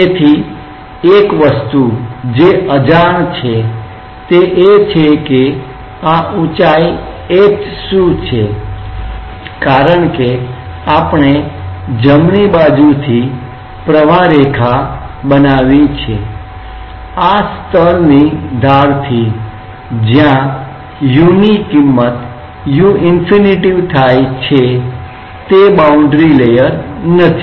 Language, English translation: Gujarati, So, one thing that remains unknown is that what is this height h because we have constructed streamline from the right, from the edge of this layer where u become u infinity this is not a boundary layer